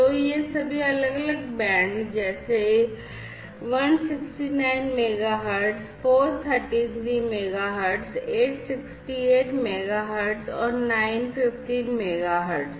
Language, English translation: Hindi, So, all these different bands like 169 megahertz 433 megahertz 868 megahertz and 915 megahertz